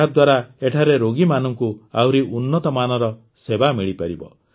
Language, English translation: Odia, With this, patients will be able to get better treatment here